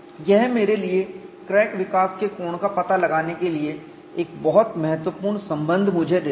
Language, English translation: Hindi, This gives me a very important relationship for me to find out the crack growth angle